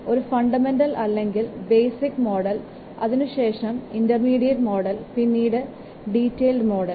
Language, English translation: Malayalam, First one is the basic model, then intermediate model, then detailed model